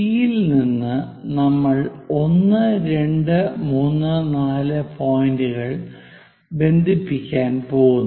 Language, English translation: Malayalam, From from C, we are going to connect 1, 2, 3, and 4 points